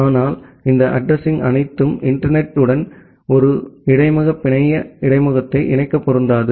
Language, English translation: Tamil, But all this address are not usable for connecting a interface network interface with the internet